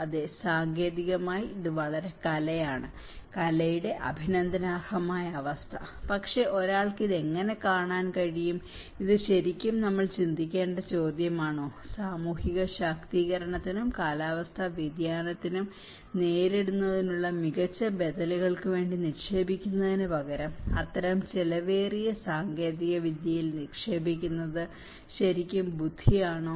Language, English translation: Malayalam, Yes technologically, it is a very state of art; appreciative state of the art, but how one can look at this, is it really the question we have to think about, is it really wise to invest on such expensive technology rather to invest on social empowerment and better alternatives for coping to the climate change so, this is some of the brainstorming understanding one can take on their own call